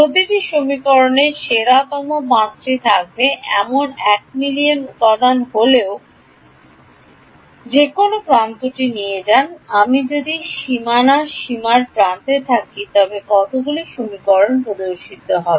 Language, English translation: Bengali, Take any edge even if there are a million elements each equation will have at best 5, if I am on the border boundary edge how many equations will appear